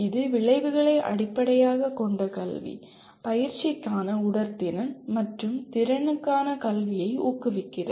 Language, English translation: Tamil, It makes outcome based education promotes fitness for practice and education for capability